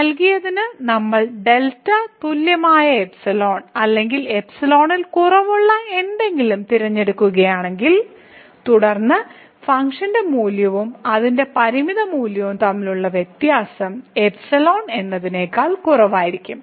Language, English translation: Malayalam, So, for given epsilon, if we choose delta equal to epsilon or anything less than epsilon; then, the difference between the function value and its limiting value will be less than epsilon